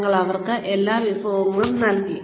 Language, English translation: Malayalam, You have given them, all the resources